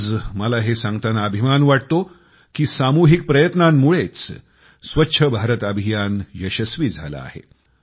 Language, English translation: Marathi, Today, I'm saying it with pride that it was collective efforts that made the 'Swachch Bharat Mission' a successful campaign